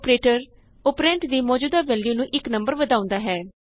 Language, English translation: Punjabi, The operator decreases the existing value of the operand by one